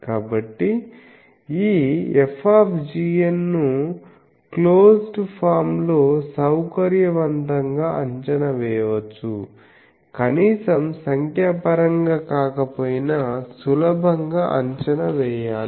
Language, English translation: Telugu, So, that this F g n can be evaluated conveniently preferably in closed form, if not at least numerically that should be easily evaluated